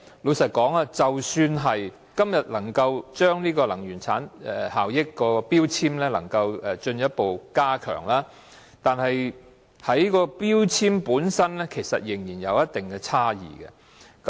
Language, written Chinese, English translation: Cantonese, 老實說，即使今天能夠進一步擴大強制性標籤計劃的範圍，同一標籤的產品的能源效益仍然有一定差異。, Frankly speaking even if the scope of MEELS can be further extended today there are still differences in the energy efficiency performances of products with the same grade of energy label